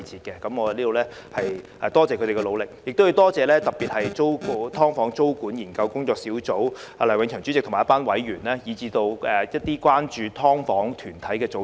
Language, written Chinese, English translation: Cantonese, 我在此感謝他們的努力，亦要特別感謝工作小組梁永祥主席及一眾成員，以及關注"劏房"的團體組織。, I hereby thank them for their efforts . Also I would like to express my special thanks to Dr William LEUNG Chairman of the Task Force and all its members as well as the groupsorganizations concerned about SDUs